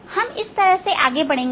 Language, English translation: Hindi, so we will proceed like this